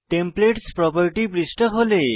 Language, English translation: Bengali, Templates tool property page opens below